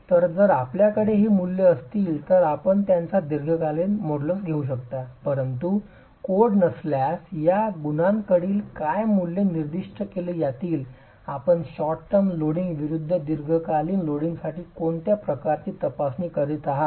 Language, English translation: Marathi, So if you have these values you could use them to arrive at the long term modulus but if not codes may specify what values for these coefficients should you use for the type of masonry that you are examining versus for short term loading versus long term loading and again for different types of motor that is being used for the masonry construction